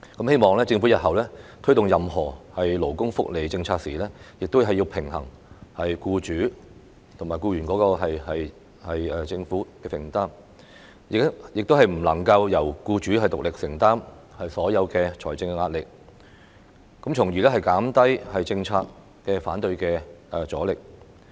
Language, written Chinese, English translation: Cantonese, 希望政府日後推動任何勞工福利政策時，亦要平衡僱主、僱員及政府的承擔，亦不能夠由僱主獨力承擔所有的財政壓力，從而減低反對政策的阻力。, It is my hope that the Government will also balance the commitments of employers employees and itself when taking forward any labour welfare policy in future and refrain from letting employers bear all the financial burden alone so as to reduce the resistance to the policy